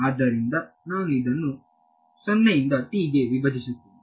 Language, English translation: Kannada, So, I will split this 0 to t will become a